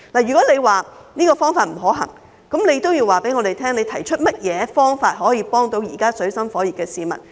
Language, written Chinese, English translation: Cantonese, 如果政府認為這方法不可行，請告訴我們有甚麼方法幫助現時處於水深火熱的市民。, If the Government considers this suggestion infeasible please tell us what can be done to help those living in great hardship